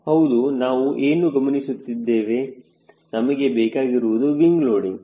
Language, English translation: Kannada, yes, what we are looking for, you are looking for wing loading